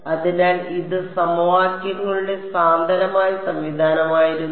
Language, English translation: Malayalam, So, it was the dense system of equations